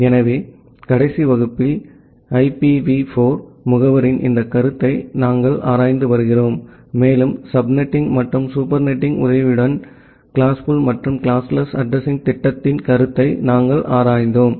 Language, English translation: Tamil, So, in the last class, we are looking into this concept of IPv4 addressing, and we have looked into the concept of classful and the classless addressing scheme with the help of subnetting and the supernetting